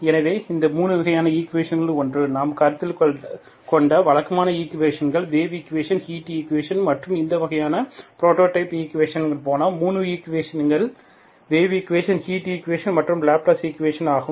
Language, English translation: Tamil, So one of these 3 rights of equations we have, the typical equation that we have considered are wave equation, heat equation and as in the prototype equation for this type, 3 types of equations are wave equation, heat equation and Laplace equation